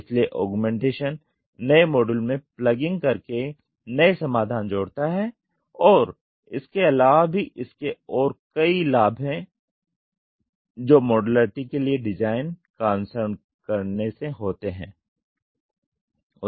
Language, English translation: Hindi, So, augmentation add new solutions by merely plugging in a new module and exclusions are the benefits at or the advantages by following the design for modularity